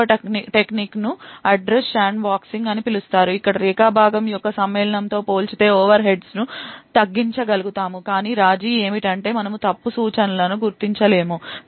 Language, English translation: Telugu, The second technique is known as the Address Sandboxing where we will be able to reduce the overheads compared to Segment Matching but the compromise is that we will not be able to identify the faulty instruction